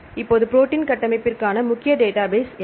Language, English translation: Tamil, Now what is the major database for protein structure